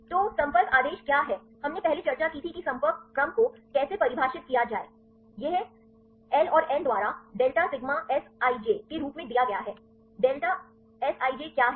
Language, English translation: Hindi, So, what is the contact order we discussed earlier how to define the contact order; this is given as delta sigma Sij by L and n; what is delta Sij